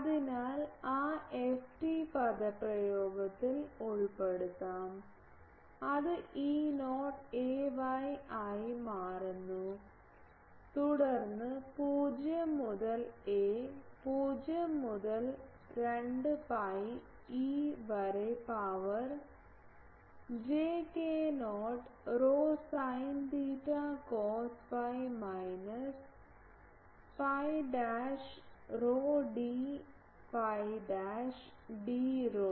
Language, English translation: Malayalam, So, I can put it on that f t expression so, it becomes E not ay, then 0 to a, 0 to 2 pi e to the power j k not rho sin theta cos phi minus phi dash rho d phi dash d rho ok